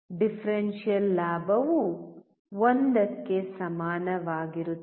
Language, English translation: Kannada, Differential gain is equal to 1